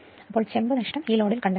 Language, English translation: Malayalam, So, copper loss, we have to find out at this load